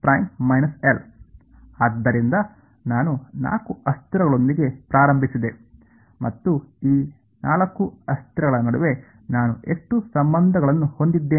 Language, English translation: Kannada, So, I started with 4 variables and how many relations do I have between these 4 variables so far